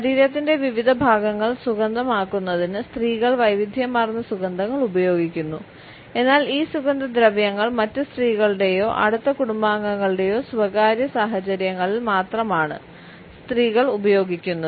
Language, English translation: Malayalam, Women use a wide range of scents to perfume different parts of their bodies, but these perfumes are used by women only in private situations in the company of other women or close family members